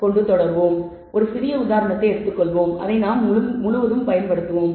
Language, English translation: Tamil, So, let us take one small example, which we will use throughout